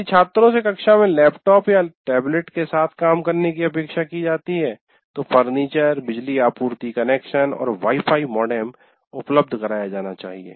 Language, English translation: Hindi, If the students are expected to work with the laptops or tablets, in the classroom, the furniture, power supply connections and Wi Fi modems should be made available